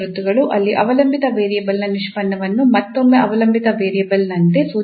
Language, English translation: Kannada, The derivative of the dependent variable is known in this case as a function of dependent variable itself